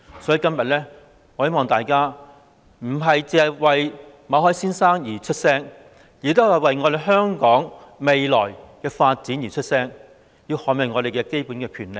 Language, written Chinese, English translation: Cantonese, 所以，今天我希望大家不單是為馬凱先生而發聲，也是為了香港未來的發展而發聲，並要捍衞我們的基本權利。, Thus I hope that Members will voice out not only for Mr MALLET but also for the future of Hong Kong and we must safeguard out basic rights